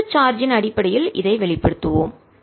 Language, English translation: Tamil, lets express this in terms of the total charge